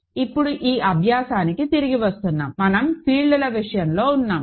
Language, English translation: Telugu, So, now coming back to this exercise we are in the case of fields